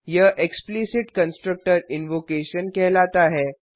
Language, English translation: Hindi, This is called explicit constructor invocation